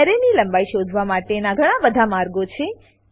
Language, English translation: Gujarati, There are many ways by which we can find the length of an array